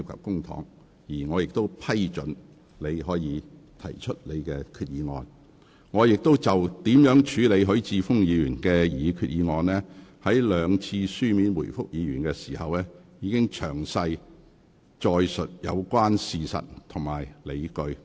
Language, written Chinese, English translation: Cantonese, 各位議員，就我如何處理許議員的擬議決議案，我在兩次書面回覆許議員時，已詳細載述有關事實及理據。, Members I have set out in detail the relevant facts and justifications in two written replies to Mr HUI to explain our handling of his proposed resolution